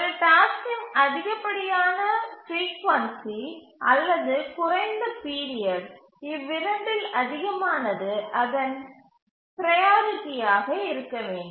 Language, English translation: Tamil, So, the higher the frequency or lower the period of a task, the higher should be its priority